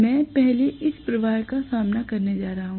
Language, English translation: Hindi, I am going to have this facing the flux first